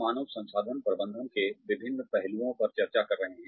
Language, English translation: Hindi, We have been discussing, various aspects of human resources management